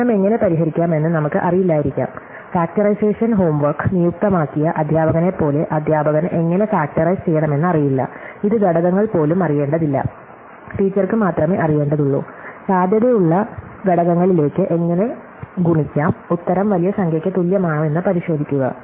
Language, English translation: Malayalam, So, we may not know how to solve the problem, like the teacher is who has assigned the factorization home work, the teacher does not need know how to factorize, this not even need to know the factors, the teacher only needs to know, how to multiply two potential factors and check whether the answer is the same as the big number